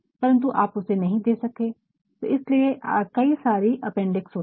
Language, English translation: Hindi, But, you could not put that that is why you actually can have several appendixes